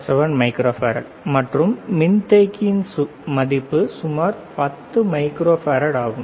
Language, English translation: Tamil, 77 microfarad, and the value on the capacitor is about 10 microfarad